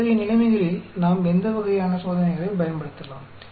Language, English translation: Tamil, In such situations, what type of tests we can use